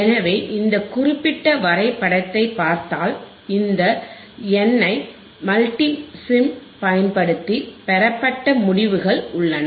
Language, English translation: Tamil, So, if you see this particular graph, this particular graph, this we have we have the results obtained using this N I mMulti sim, N I multi sim